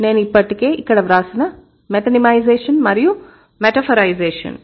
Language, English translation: Telugu, I have already written it over here, metonymization and metaphorization